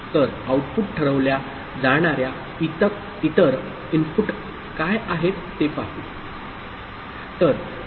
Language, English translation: Marathi, So, it will look at what are the other inputs by which the output will be decided